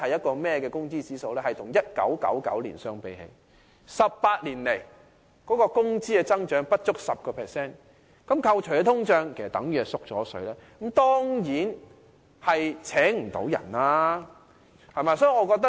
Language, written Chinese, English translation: Cantonese, 它顯示了與1999年相比 ，18 年來業界的工資增長不足 10%， 扣除通脹後即等同"縮水"，這樣當然聘不到人。, When this index is compared to that of 1999 the wage increase for this sector over the past 18 years is less than 10 % . After discounting inflation it is actually wage shrinkage . Under such situation the businesses in the sector will surely fail to hire people